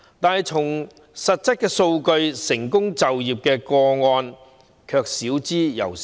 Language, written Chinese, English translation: Cantonese, 但看實質數據，成功就業個案少之又少。, Yet judging by the actual statistics successful cases are rather few